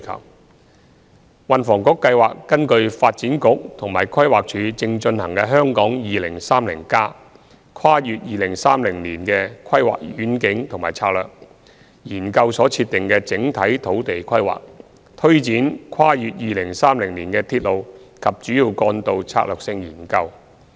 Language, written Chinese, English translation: Cantonese, 三運輸及房屋局計劃根據發展局和規劃署正進行的《香港 2030+： 跨越2030年的規劃遠景與策略》研究所設定的整體土地規劃，推展《跨越2030年的鐵路及主要幹道策略性研究》。, 3 The Transport and Housing Bureau plans to take forward the Strategic Studies on Railways and Major Roads beyond 2030 on the conceptual spatial requirements to be firmed up under the Hong Kong 2030 Towards a Planning Vision and Strategy Transcending 2030 which is being conducted by the Development Bureau and the Planning Department